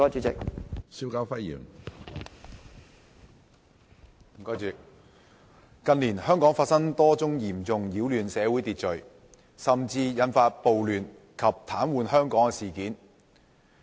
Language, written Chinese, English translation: Cantonese, 主席，近年香港發生多宗嚴重擾亂社會秩序，甚至引發暴亂及癱瘓香港的事件。, President many incidents which have caused serious disturbance of social order and even triggered off riots that paralysed the city have happened in Hong Kong in recent years